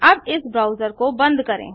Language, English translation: Hindi, Lets close this browser